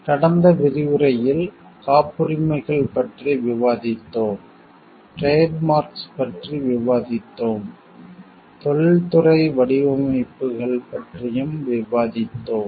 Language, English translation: Tamil, In the last lecture we have discussed about patents, we have discussed about trademarks, we have discussed also about industrial designs